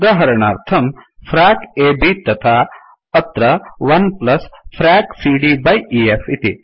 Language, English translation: Sanskrit, For example, frac AB then here 1+ frac CD by EF